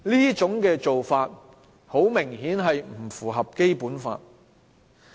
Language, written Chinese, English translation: Cantonese, 這種做法很明顯是不符合《基本法》的。, Obviously this is inconsistent with the Basic Law